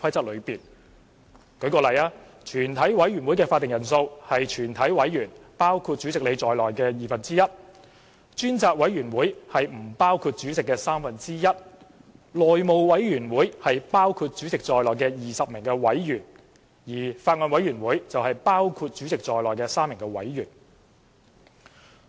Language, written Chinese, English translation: Cantonese, 例如，全委會的會議法定人數是包括主席在內的全體議員的二分之一；專責委員會是委員人數的三分之一；內務委員會是包括主席在內的20名委員，而法案委員會則是包括主席在內的3名委員。, For example the quorum of a committee of the whole Council shall be not less than one half of all its Members including the Chairman; the quorum of a select committee shall be one third of the members excluding the chairman; the quorum of the House Committee shall be 20 members including the chairman and the quorum of a Bills Committee shall be 3 members including the chairman